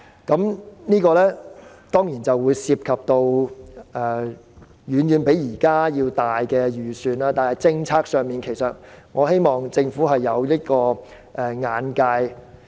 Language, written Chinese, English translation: Cantonese, 當然，當中涉及的預算一定遠比現在多，但政策上，我希望政府有這樣的眼界。, Certainly the budget thus incurred will be greater than the existing estimate yet I hope the Government will have such vision in policy formulation